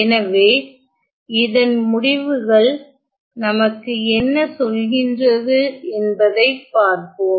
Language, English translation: Tamil, So, let us see what do these results say